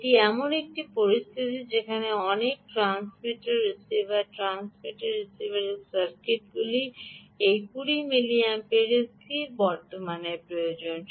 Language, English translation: Bengali, this is a situation where many ah transmitter receivers, transmitters and receivers circuits actually required this fixed current of twenty milliamperes